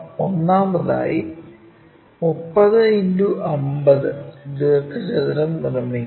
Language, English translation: Malayalam, So, first of all construct 30 by 50 rectangle